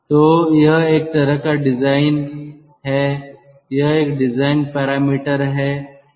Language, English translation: Hindi, this is kind of a design parameter